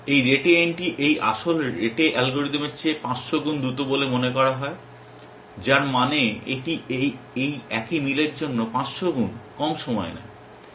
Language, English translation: Bengali, This rete NT is suppose to be 500 times faster than these original rete algorithm, which means it takes 500 times less time to the same match essentially